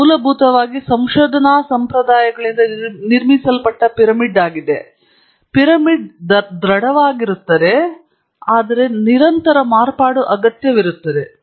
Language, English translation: Kannada, It is basically a pyramid built by research traditions; the pyramid is robust, but needs constant modification